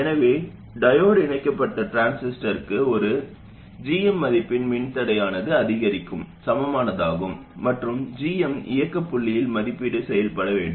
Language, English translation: Tamil, So a diode connected transistor has an incrementally equivalent which is a resistor value 1 by GM and GM has to be evaluated at the operating point